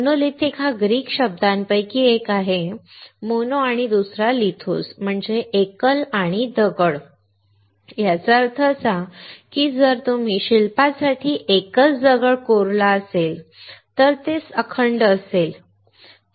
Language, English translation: Marathi, Monolithic comes from the Greek words one is mono and second is lithos; that means, single and stone; that means, that if you carve a single stone to a sculpture it is monolithic, alright